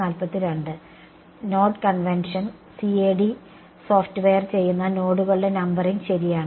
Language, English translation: Malayalam, The node convention right the numbering of the nodes which is done by the CAD software